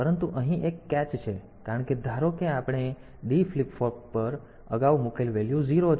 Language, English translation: Gujarati, But there is a catch here because suppose the value that we had previously put on to this D flip flop is 0